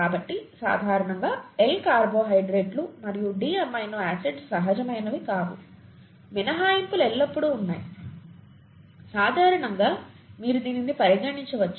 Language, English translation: Telugu, So L carbohydrates and D amino acids are not natural, usually, okay